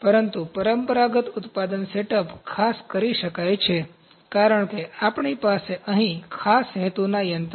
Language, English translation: Gujarati, But, in traditional manufacturing the setup can be made specifically, because we have the special purpose machines here